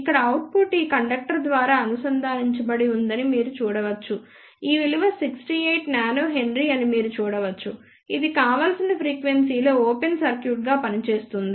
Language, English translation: Telugu, You can see that the output here is connected through this inductor you can see this value is 68 nanohenry which will act as an open circuit at the desired frequency